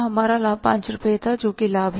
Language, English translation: Hindi, Our profit in was rupees 5 that is the profit